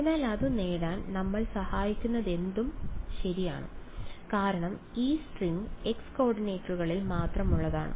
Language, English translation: Malayalam, So, whatever helps us to achieve that, well yeah because this string is in the x coordinates only right